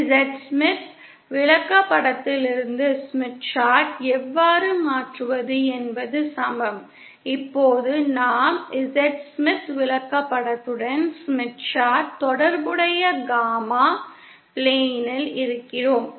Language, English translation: Tamil, Equal how to convert from the Z Smith Chart to so now we are in the gamma plane corresponding to the Z Smith Chart